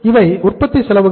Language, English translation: Tamil, These are the manufacturing expenses